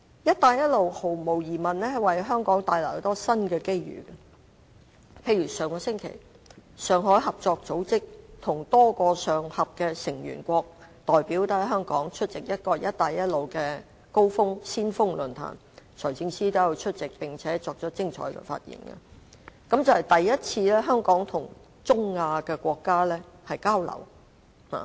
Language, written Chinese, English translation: Cantonese, "一帶一路"毫無疑問可為香港帶來很多新機遇，例如上星期，上海合作組織和多個上合成員國代表在香港出席了"一帶一路先鋒論壇"，財政司司長也有出席，並且發表了精彩的演說，這是香港第一次跟中亞國家交流。, The Belt and Road Innovation and Development Forum was held in Hong Kong last week in which representatives of the Shanghai Cooperation Organisation SCO and its members attended . The Financial Secretary was present and he delivered an intriguing speech . That was the first meeting in which Hong Kong interacted with countries of Central Asia